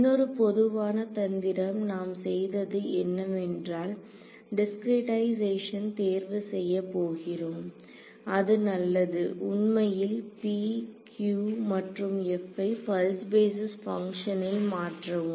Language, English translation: Tamil, So, another common trick that is done is because this discretization is going to be chosen to be fine you can in fact, substitute p q and f in terms of a pulse basis function